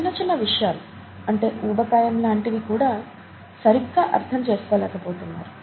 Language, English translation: Telugu, Even the simple things, such as obesity is not understood properly